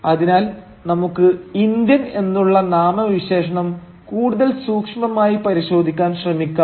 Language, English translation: Malayalam, So, let us try to look at the adjective “Indian” more closely